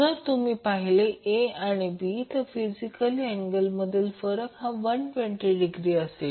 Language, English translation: Marathi, So, if you see A and B, so, the angle difference will be physically 120 degree